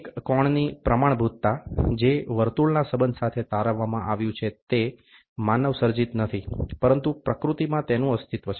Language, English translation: Gujarati, The standard of an angle, which is derived with relation to a circle, is not man made, but exist in nature